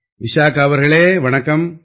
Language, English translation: Tamil, Vishakha ji, Namaskar